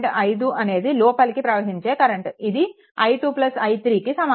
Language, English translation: Telugu, 5, this is incoming current and 2 whether i 2 plus i 3